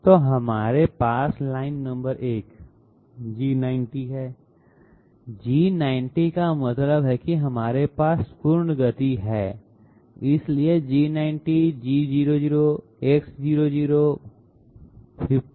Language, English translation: Hindi, So we have line number 1 G90, G90 means that we are having absolute motion, so G90 G00 X00